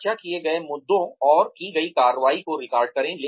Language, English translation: Hindi, Record the issues discussed, and the action taken